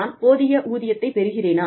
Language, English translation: Tamil, Am I being compensated, enough